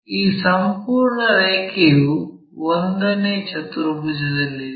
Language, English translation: Kannada, And, this entire line is in the 1st quadrant